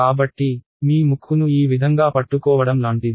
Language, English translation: Telugu, So, that is like holding your nose this way